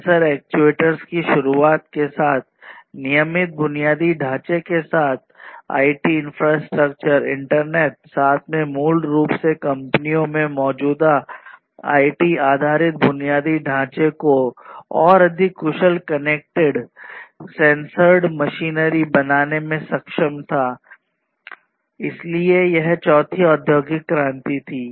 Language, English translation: Hindi, So, the introduction of sensors, actuators, etc along with the regular infrastructure, the IT infrastructure, the internet etc together basically was able to transform the existing IT based infrastructure in the companies to much more efficient ones to connected, sensed machinery and so on, so that was the fourth industrial revolution